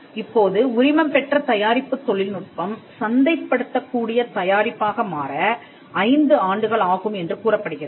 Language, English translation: Tamil, Now, it is said that it takes 5 years for a licensed product technology to become a marketable product